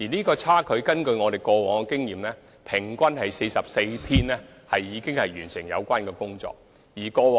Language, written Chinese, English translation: Cantonese, 根據我們過往的經驗，平均只需44天便可完成修葺工程。, Based on our past experience the renovation will take an average of 44 days